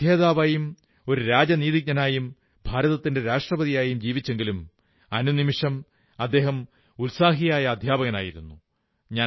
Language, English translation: Malayalam, He was a scholar, a diplomat, the President of India and yet, quintessentially a teacher